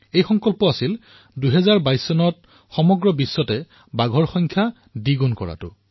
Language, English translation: Assamese, It was resolved to double the number of tigers worldwide by 2022